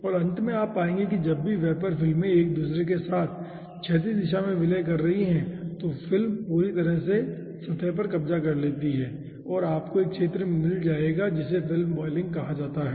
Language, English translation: Hindi, okay, and at the end you will be finding out that whenever this vapor films are also merging with each other in the horizontal direction, the whole surface is occupied by the film and you will be finding out a zone which is called film boiling